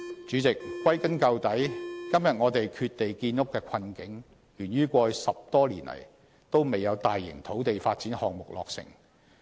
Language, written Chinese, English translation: Cantonese, 主席，歸根究底，今天我們缺地建屋的困境，源於過去10多年來都沒有大型土地發展項目落成。, All in all President the predicament of housing and land shortage we face today is created because no major land development project has been completed in Hong Kong for more than 10 years in the past